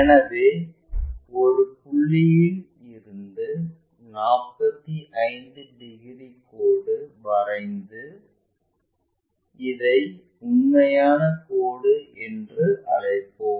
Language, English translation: Tamil, So, from point a draw a line of 45 degrees, this one 45 degrees and let us call this line as true line